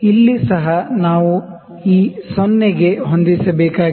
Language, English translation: Kannada, Also here, we need to adjust for this 0